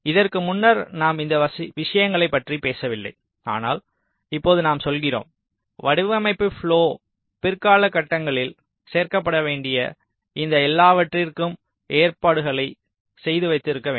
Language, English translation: Tamil, so this earlier we did not talk about all these things, but now we are saying that we need to keep provisions for all these things which need to be added in later stages of the design flow